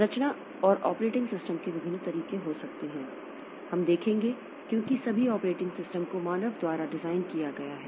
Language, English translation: Hindi, There can be various ways of structuring and operating systems so that we will see because after all operating system is designed by human being